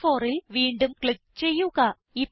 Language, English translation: Malayalam, Click on the cell B4